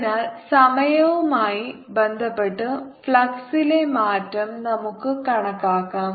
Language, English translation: Malayalam, now so let's calculate the ah change in the flux with respect to time